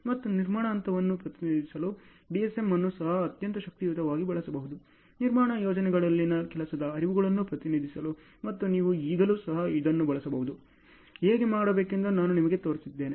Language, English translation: Kannada, And DSM can also be very powerfully used for representing construction phase also, for representing the workflows in construction projects as well you can still use that also, I have shown you how to do and so on ok